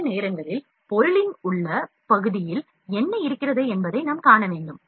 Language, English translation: Tamil, Sometimes, we need to see what is in the inside portion of the job